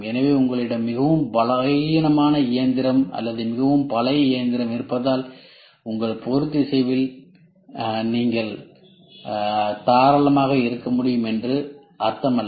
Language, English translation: Tamil, So, it does not mean that since you have a very weak machine or a very old machine you can be liberal in your tolerance